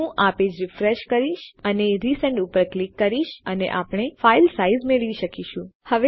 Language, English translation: Gujarati, Ill refresh this page and click resend and we can get the size of the file